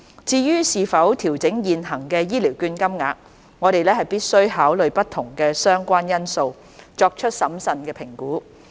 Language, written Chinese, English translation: Cantonese, 至於是否調整現行醫療券金額，我們必需考慮不同的相關因素，作出審慎的評估。, When considering whether there is a need to adjust the prevailing voucher amount we must take into account various related factors and make a prudent assessment